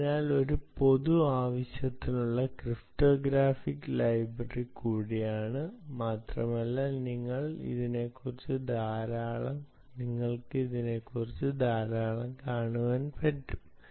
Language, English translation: Malayalam, ah, it is also a general purpose cryptographic library library, ok, and you will see a lot about it